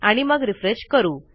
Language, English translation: Marathi, And we can refresh that